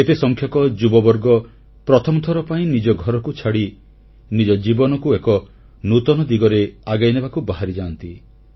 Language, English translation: Odia, This multitude of young people leave their homes for the first time to chart a new direction for their lives